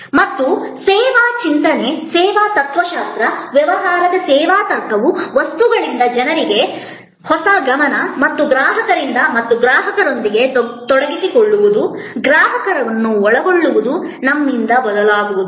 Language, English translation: Kannada, And the service thinking, service philosophy, service logic of business as a big role to play in this paradigm shift from objects to people, from the renewed focus and the customer and engaging with the customer's, involving the customer, changing from we and they to us